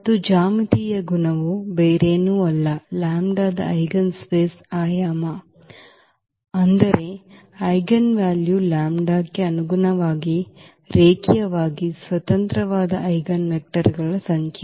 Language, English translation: Kannada, And the geometric multiplicity is nothing but, the dimension of the eigenspace of lambda; that means, the number of linearly independent eigenvectors corresponding to an eigenvalue lambda